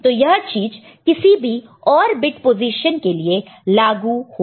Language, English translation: Hindi, So, it will be true for any other bit position